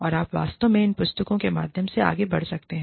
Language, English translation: Hindi, And, you can actually, go through these books